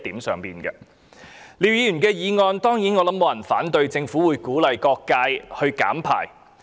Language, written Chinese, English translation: Cantonese, 就廖議員的議案，我想沒有人會反對政府鼓勵各界減少排放溫室氣體。, Regarding Mr LIAOs motion I think no one will oppose the Governments act of encouraging various sectors to reduce greenhouse gas emissions